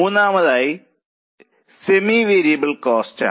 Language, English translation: Malayalam, Now the third is semi variable cost